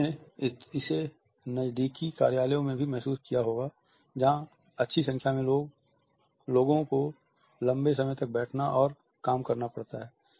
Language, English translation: Hindi, You might have also noticed that in close offices spaces also, where a good number of people have to sit and work for long hours